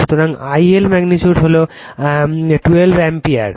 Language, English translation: Bengali, So, I L magnitude is 12 Ampere right